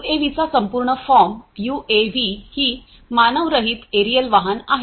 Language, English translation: Marathi, UAV as you know the full form of UAV is Unmanned Aerial Vehicle